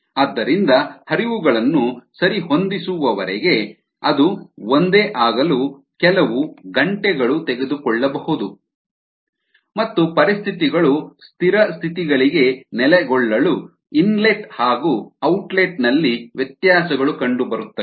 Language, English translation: Kannada, therefore, till the flows can be adjusted, if you take probably a few hours and so and so fore to be the same and the conditions to ah settle down to the steady state conditions, there will be a variations in the inlet and outlet